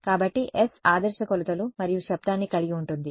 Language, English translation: Telugu, So, the s contains the ideal measurements and noise